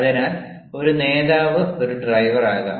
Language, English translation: Malayalam, so a leader may be a driver